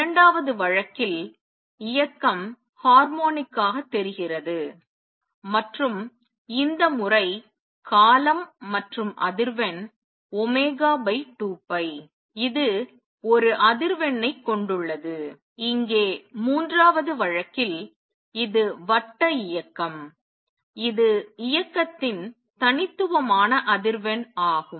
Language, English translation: Tamil, In the second case motion looks harmonic and this time is the time period and frequency is frequency is omega over 2 pi it contains one frequency, and here in the third case also this is the circular motion this is the unique frequency of motion